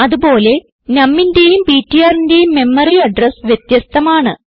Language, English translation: Malayalam, Where as memory address of num and ptr are different